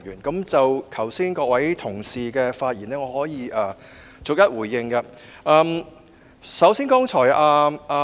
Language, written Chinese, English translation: Cantonese, 剛才各位同事的發言，我可以逐一回應。, As for the remarks made by our Honourable colleagues just now I will respond to them one by one